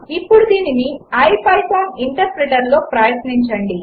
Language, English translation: Telugu, Now try this in the ipython interpreter